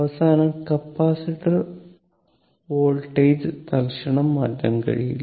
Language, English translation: Malayalam, And at the end, capacitor voltage cannot change instantaneously